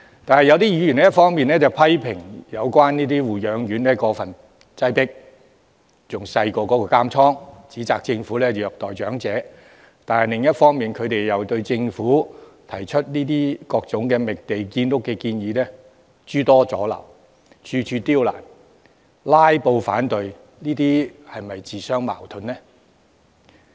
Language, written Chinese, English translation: Cantonese, 但是，有議員一方面批評現有護養院過分擠迫，面積比監倉還小，指摘政府虐待長者，但另一方面又對政府提出各種覓地建屋的建議諸多阻撓，處處刁難，"拉布"反對，這樣是否自相矛盾呢？, However some Members on the one hand accuse the Government of elderly abuse as the existing nursing homes are overcrowded and the area of each place is smaller than a prison cell while on the other obstruct through filibustering various land identification and housing construction solutions proposed by the Government . Are they not contradicting themselves?